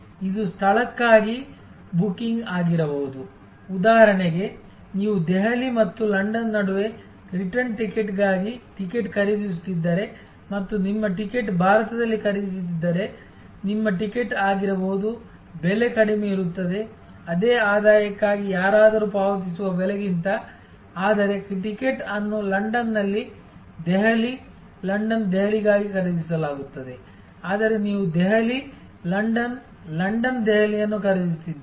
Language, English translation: Kannada, It could be also booking done for location, like for example, if you are buying a ticket for return ticket between Delhi and London and if your ticket is purchased in India, it is quite possible that your ticket will be, the price will be lower than the price which somebody will be paying for the same return, but the ticket is purchased in London for a London Delhi, Delhi London, whereas you are buying a Delhi London, London Delhi